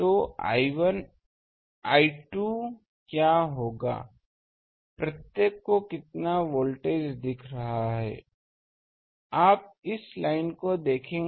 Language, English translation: Hindi, So, what will be I 2 will be how much voltage each one is seeing, you see this line